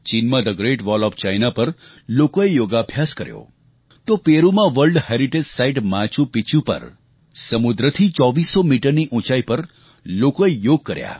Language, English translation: Gujarati, In China, Yoga was practiced on the Great Wall of China, and on the World Heritage site of Machu Picchu in Peru, at 2400 metres above sea level